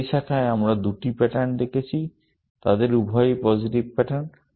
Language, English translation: Bengali, In that branch, we have looked at two patterns; both of them are positive patterns